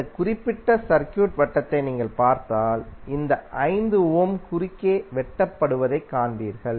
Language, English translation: Tamil, If you see this particular circuit then you will see that this 5 ohm is cutting across